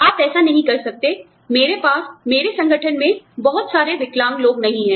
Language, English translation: Hindi, You cannot say that, you know, i do not have, too many disabled people, in my organization